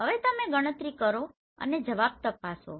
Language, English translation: Gujarati, So just calculate and check your answers